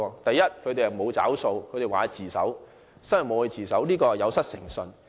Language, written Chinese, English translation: Cantonese, 第一，他們沒有"找數"，說會自首，最後卻沒有自首，這是有失誠信。, First they went back on their word . They had promised that they would surrender themselves but they did not do so in the end . This was a breach of trust